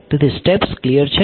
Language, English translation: Gujarati, So, steps are clear